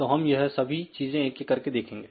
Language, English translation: Hindi, So, we will see these things one by one